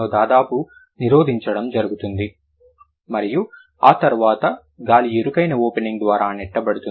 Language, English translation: Telugu, There is almost blocking and then after that air is pushed through a narrow opening